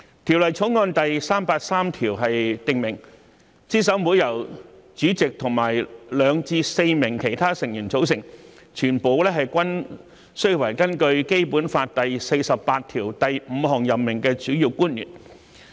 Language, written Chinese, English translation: Cantonese, 《條例草案》第383條訂明，資審會由主席和2名至4名其他成員組成，全部均須為依據《基本法》第四十八條第五項所指的提名而任命的主要官員。, Clause 383 of the Bill stipulates that CERC is to consist of the chairperson and two to four other members who must be principal officials appointed pursuant to a nomination under Article 485 of the Basic Law